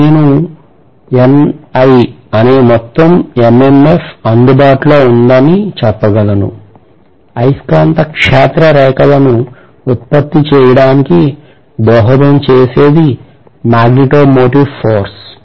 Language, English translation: Telugu, Now I can say that NI is the total MMF available, magneto motive force available which is going to contribute towards producing the magnetic field lines